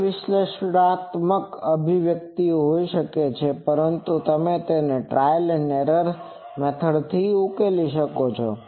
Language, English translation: Gujarati, There are may not many analytic expression; but you can solve it with trial and error etc